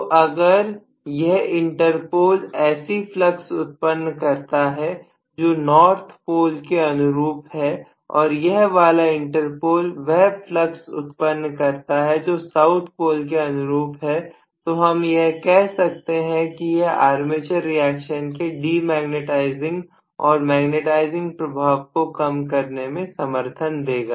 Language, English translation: Hindi, So if this inter pole is rather creating a flux corresponding to north pole and if this inter pole is creating a flux corresponding to south pole in all probability I would nullify the effect of this de magnetizing and magnetizing armature reaction, right